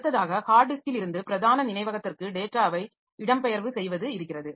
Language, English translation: Tamil, Next we have, so this is the migration data from hard disk to main memory